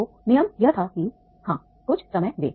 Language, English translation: Hindi, So the rule was that is yes, give us some time